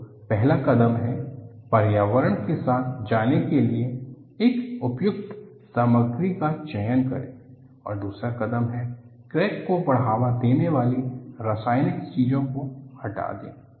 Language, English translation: Hindi, So, the first step is, select an appropriate material to go with the environment; and the second step is, remove the chemical species that promotes cracking